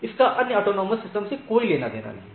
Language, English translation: Hindi, It is nothing to do with the other autonomous system